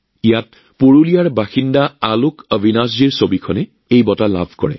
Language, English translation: Assamese, In this, the picture by AlokAvinash ji, resident of Purulia, won an award